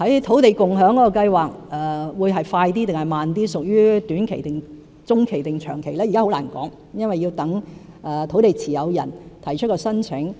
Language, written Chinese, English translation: Cantonese, 土地共享計劃是快是慢，屬於短期、中期還是長期，現在很難說，因為要待土地持有人提出申請。, Will the land sharing schemes be implemented quickly or gradually? . Are they short - term medium - term or long - term? . It is difficult to tell now because we have to wait for landowners to make applications